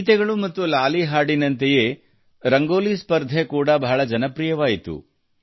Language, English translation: Kannada, Just like songs and lullabies, the Rangoli Competition also turned out to be quite popular